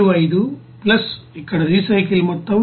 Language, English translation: Telugu, 75 plus here recycle amount 3